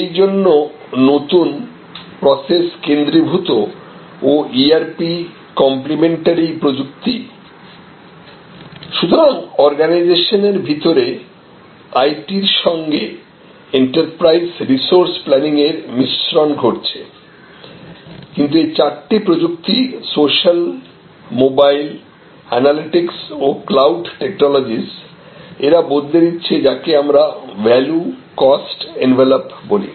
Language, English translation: Bengali, So, new process centric and ERP complimentary technologies, so within the organization there is enterprise resource planning integration with IT, but these four technologies social, mobile, analytics and cloud technologies they are changing what is known as the value cost envelop